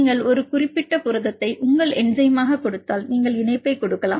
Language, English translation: Tamil, Say if you give a particular protein is your enzyme then you can give the link